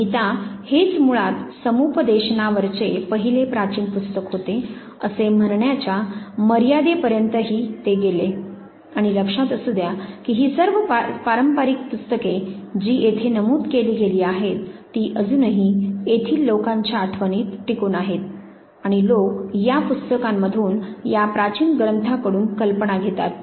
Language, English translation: Marathi, He also go to the extent of saying at Gita basically was the first ancient book on counseling and remember all these traditional books that have been referred here they are still survive in the memory of people here, and people borrow ideas from these books,these ancient texts